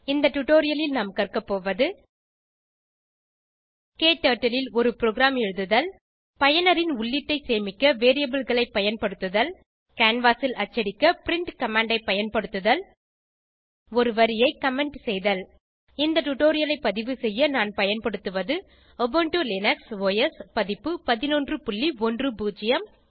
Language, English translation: Tamil, In this tutorial, we will learn how to Write a program in KTurtle Use variables to store user input Use print command to print on canvas Comment a line To record this tutorial, I am using,Ubuntu Linux OS Version 11.10